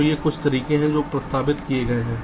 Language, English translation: Hindi, so these are some methods which have been proposed